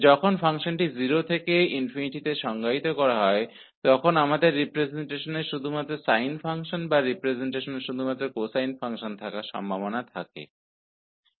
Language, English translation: Hindi, But when the function is defined in 0 to 8, we have the possibility to have either only sine functions in the representation or only cosine function in the representation